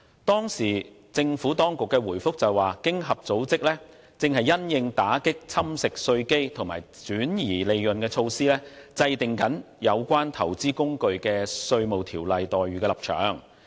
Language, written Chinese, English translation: Cantonese, 當時，政府當局回應指，經濟合作與發展組織正因應打擊侵蝕稅基及轉移利潤的措施，制訂有關投資工具的稅務條約待遇的立場。, Back then the Government responded by noting that the Organisation for Economic Co - operation and Development OECD was formulating its position regarding tax treaty entitlements of investment vehicles relating to the initiative to combat Base Erosion and Profit Shifting